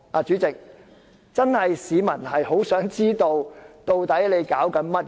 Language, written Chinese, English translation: Cantonese, 主席，市民確實很想知道立法會在搞甚麼。, President the public do want to know what is happening to the Legislative Council